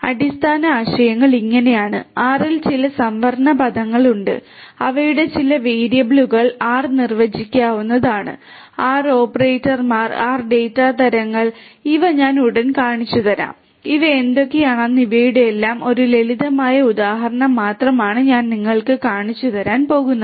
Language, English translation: Malayalam, So, the fundamental concepts are like this that there are certain reserved words in R, their certain variables that can be defined in R, there are R operators, R data types and these I am going to show you shortly and what are these and you know is just a simple instance of all of these is what I am going to show you